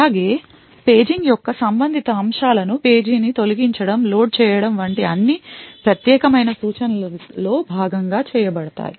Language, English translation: Telugu, Also the paging related aspects such as eviction of a page, loading of a page all done as part of the privileged instructions